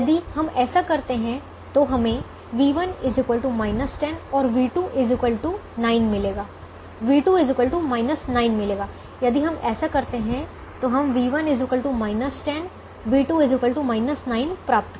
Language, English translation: Hindi, if we do that, we will get v one is equal two minus ten and v two is equal to minus nine